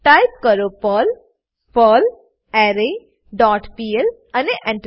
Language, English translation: Gujarati, Type perl perlArray dot pl and press Enter